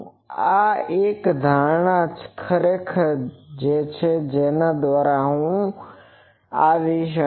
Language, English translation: Gujarati, Now, this is an assumption actually that I will come that